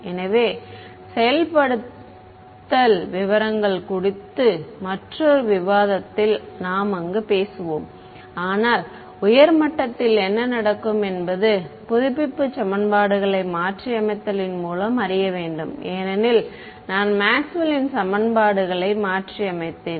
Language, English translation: Tamil, So, we will have a another set of discussion on implementation details there we will talk about it, but at a high level what will happen is the update equations have to be modified because I have modified Maxwell’s equations